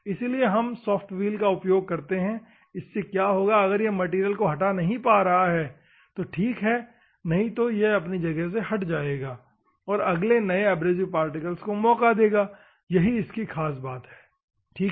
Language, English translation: Hindi, That is why if we have a soft wheel what will happen, if it can remove the material if the abrasive particle can remove the material it will remove otherwise it will dislodge and gives the opportunity to the next abrasive particle, that is the beauty, ok